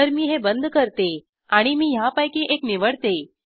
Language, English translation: Marathi, SO let me close this , so let me choose one of these